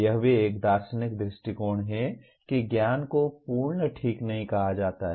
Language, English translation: Hindi, This is also a philosophical view that knowledge is contextualized not absolute, okay